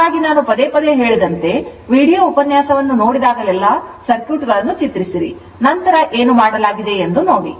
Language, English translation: Kannada, So, whenever you I tell again and again whenever look in to this video lecture first you draw the circuits, then you look what has been done